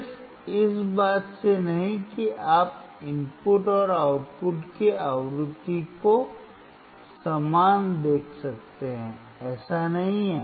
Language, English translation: Hindi, Not from the just that you can see the frequency of the input and output similar that is not the case